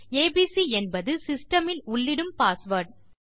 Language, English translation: Tamil, abc is the password Im inputting to the system